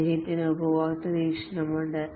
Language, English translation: Malayalam, Here is the customer perspective